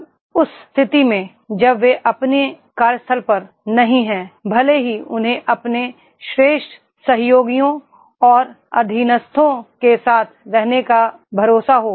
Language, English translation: Hindi, Now in that case that even if they are not at the workplace they are having the trust to have with their superior, colleagues and subordinates